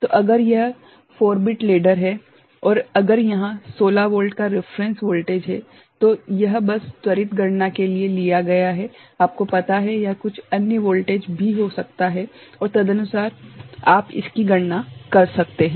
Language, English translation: Hindi, So, if it is a 4 bit ladder and if it is a 16 volt reference voltage is there just you know for quick calculation, it could be some other voltage also and accordingly you can calculate it